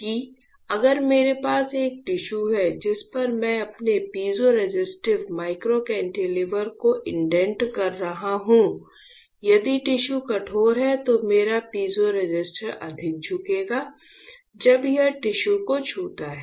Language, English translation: Hindi, That if I have a tissue on which I am indenting my piezoresistive microcantilever; if the tissue is hard or stiff, then my piezoresistor will bend more right; when it touches the tissue is not it